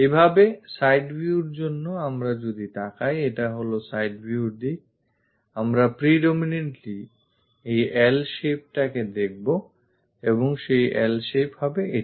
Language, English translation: Bengali, This is the side view direction; we will be seeing this L shape predominantly and that L shape will be this